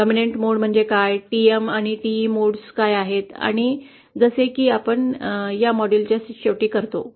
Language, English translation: Marathi, Like what is dominant mode, what are the TM and TE modes and, so with that we come to an end of this module